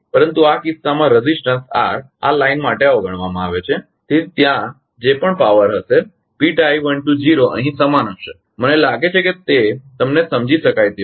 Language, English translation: Gujarati, But in this case resistance r is neglected for this line therefore, whatever power will be there P tie you want to be written in same in here right I think it is understandable to you